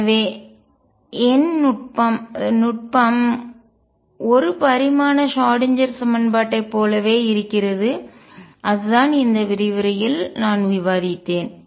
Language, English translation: Tamil, And then the technique the numerical technique therefore, is exactly the same as for the 1 dimensional Schrödinger equation that is what I have discussed in this lecture